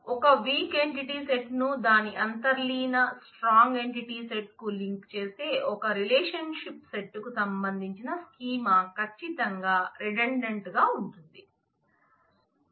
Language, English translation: Telugu, The schema corresponding to a relationship set linking a weak entity set to it is underlying strong entity set is certainly redundant, we have already seen this